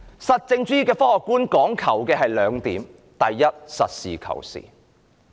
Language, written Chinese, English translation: Cantonese, 實證主義的科學觀講求兩點：第一，實事求是。, The scientific outlook on positivism stresses two points first be practical and realistic